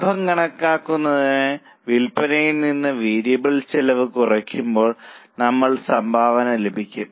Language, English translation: Malayalam, To calculate the profit, now sales minus variable cost you get contribution